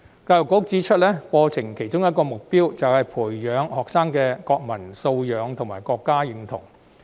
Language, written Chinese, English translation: Cantonese, 教育局指出，課程的其中一個目標，是培養學生的國民素養及國民身份認同。, As pointed out by EDB one of the targets of the curriculum is to cultivate students quality as a member of the country and their sense of national identity